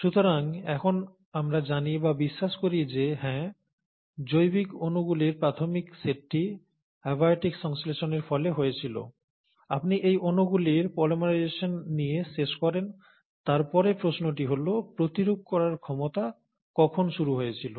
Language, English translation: Bengali, So, we do know, or we do now believe that yes, the initial set of biological molecules were from abiotic synthesis, then you ended up having polymerization of these molecules, and then the question is, ‘When did the replicative ability begin’